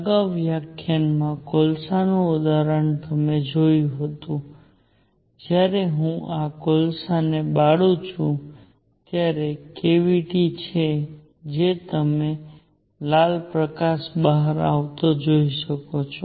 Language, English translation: Gujarati, As you saw the in example of coals in the previous our lecture when I burn these coals there is a cavity from which you can see red light coming out